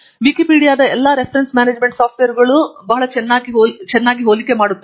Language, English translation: Kannada, There is also a very nice comparison of all the reference management softwares on wikipedia